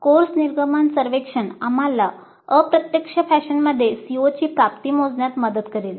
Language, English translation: Marathi, So the course exit survey would help us in computing the attainment of CO in an indirect fashion